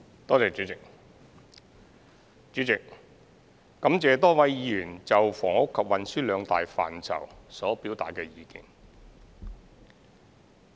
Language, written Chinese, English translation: Cantonese, 代理主席，感謝多位議員就房屋及運輸兩大範疇所表達的意見。, Deputy President I am grateful to a number of Members for their views on the two major policy areas of housing and transport